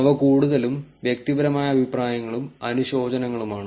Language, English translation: Malayalam, They are mostly personal opinions and condolences